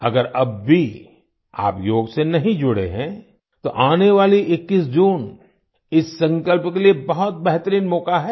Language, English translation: Hindi, If you are still not connected with yoga, then the 21st of June is a great opportunity for this resolve